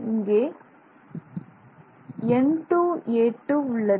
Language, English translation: Tamil, So, you will have nA square